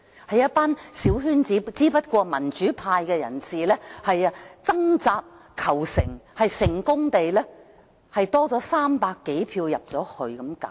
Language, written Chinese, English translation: Cantonese, 有一班小圈子選委，只不過民主派人士掙扎求成，成功爭取到300多票進入去。, There were small - circle Election Committee EC members though the democratic camp had struggled hard to get over 300 seats in EC